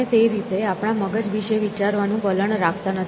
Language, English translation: Gujarati, We do not tend to think of our brain in that fashion